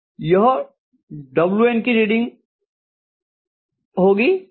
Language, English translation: Hindi, This is going to be the reading of W1